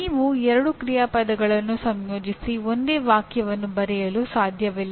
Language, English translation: Kannada, You cannot combine them and write it as use two action verbs and write a single sentence